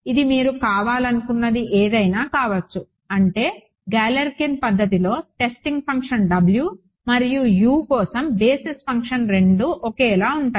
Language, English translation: Telugu, It can be whatever you wanted to be I mean galler can simply means that the testing function W and the basis function for U is the same